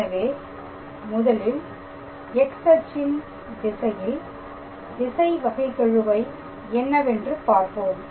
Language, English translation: Tamil, So, when we are calculating in the direction of X axis the directional derivative